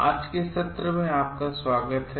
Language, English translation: Hindi, Welcome to today s session